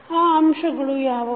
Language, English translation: Kannada, What are those elements